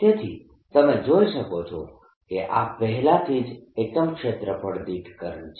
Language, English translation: Gujarati, so this is the current which is per unit length